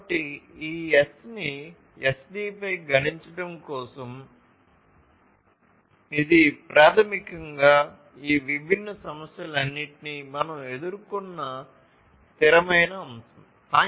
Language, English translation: Telugu, So, for computing this S over SD, which is basically the sustainability factor we have gone through all of these different issues